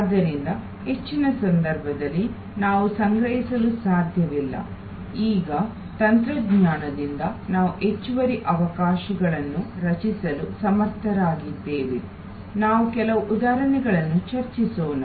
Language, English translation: Kannada, So, we cannot store in most cases of course, now with technology we are able to create additional opportunities, we will discuss some examples